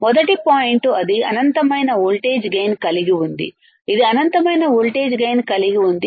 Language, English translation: Telugu, First point is it has infinite voltage gain; it has infinite voltage gain